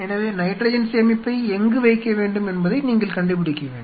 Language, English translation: Tamil, So, you have to figure out where you want to put the nitrogen storage